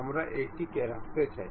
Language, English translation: Bengali, We can see it again